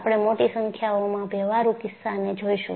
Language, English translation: Gujarati, And, we would see a large number of practical cases